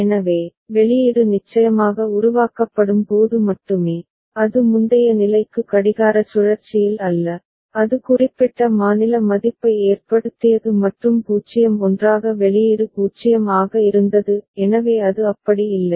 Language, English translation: Tamil, So, output will be generated only when of course, it goes to state a, not in the that previous clock cycle whatever actually was causing it that particular state value and 0 together output was 0; so it is not like that